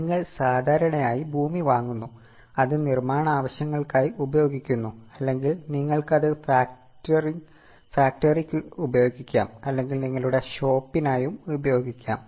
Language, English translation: Malayalam, You buy land generally you use it for construction purposes or you may use it for factory or you may use it for your shop